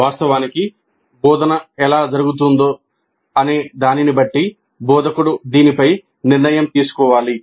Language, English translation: Telugu, It is basically the instructor who has to decide on this depending upon how actually the instruction is taking place